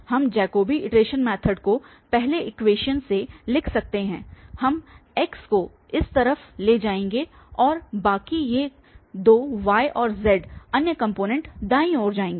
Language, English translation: Hindi, We can write the Jacobi iteration method from the first equation we will take x to this side and the rest these two y and z the other components will go to the right hand side